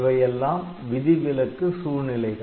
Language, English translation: Tamil, So, they are all exceptional situations